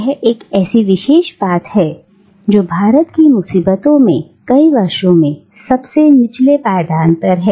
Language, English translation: Hindi, It is the particular thing which for years has been at the bottom of India's troubles